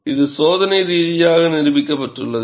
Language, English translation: Tamil, It has been experimentally demonstrated